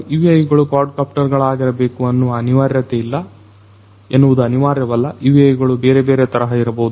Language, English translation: Kannada, So, this is a quadcopter UAVs do not necessarily have to be quadcopters, UAVs could be of different different types